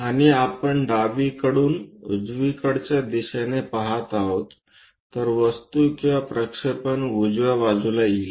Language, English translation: Marathi, And we are looking from left side towards right side so, object or the projection will come on the right hand side